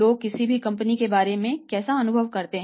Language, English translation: Hindi, How people perceive about any company